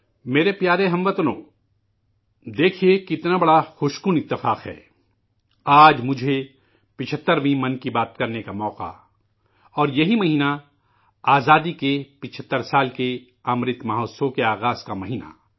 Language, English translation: Urdu, My dear countrymen, you see how big a pleasant coincidence it is that today I got an opportunity to express my 75th Mann ki Baat